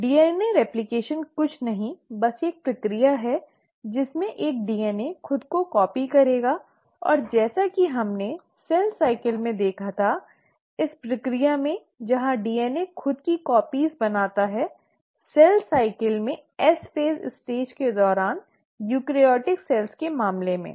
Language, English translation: Hindi, Well, DNA replication is nothing but a process in which a DNA will copy itself and as we had seen in cell cycle this process wherein a DNA copies itself happens in case of eukaryotic cells during the stage of S phase in cell cycle